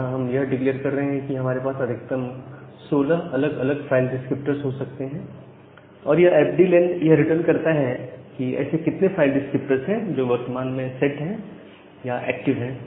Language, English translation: Hindi, So, here we are declaring that we can have a maximum of 16 different file descriptor and this fd len returns, that how many are how many such file descriptor are currently set or currently active